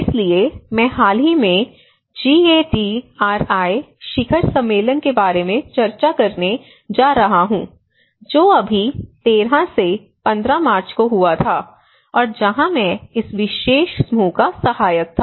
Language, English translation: Hindi, So, I am going to discuss about the recent GADRI summit which just happened on from 13 to 15 of March and where I was rapporteuring this particular group